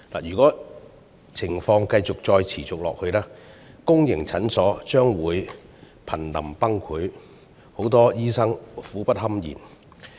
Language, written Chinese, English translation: Cantonese, 如果情況持續下去，公營診所將會瀕臨崩潰，醫生苦不堪言。, If such situation persists public clinics are going to reach their breaking point and doctors will suffer miserably